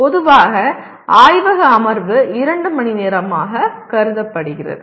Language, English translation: Tamil, Normally laboratory session is considered to be 2 hours